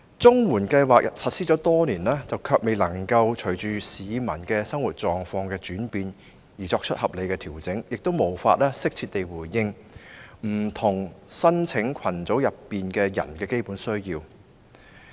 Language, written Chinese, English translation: Cantonese, 綜援計劃實施多年，但卻未能隨着市民的生活狀況轉變而作出合理調整，亦無法適切回應不同申請群組人士的基本需要。, The CSSA Scheme has been implemented for years but no reasonable adjustment has been made in tandem with the changes in peoples living conditions nor is it able to address appropriately the basic needs of different groups of applicants